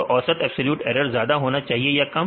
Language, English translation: Hindi, So, mean absolute error should be high or less